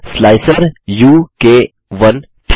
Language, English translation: Hindi, slicer u k 1